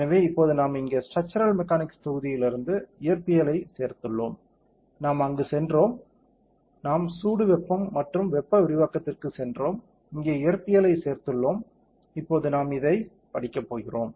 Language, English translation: Tamil, So, now we have added the physics from the structural mechanics module here, we have gone there, we have gone to joule heating and thermal expansion and we have added the physics here, now we will go to study, this is the study